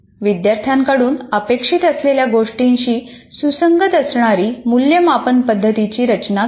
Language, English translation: Marathi, Designing assessments that are in alignment with what the students are expected to be able to do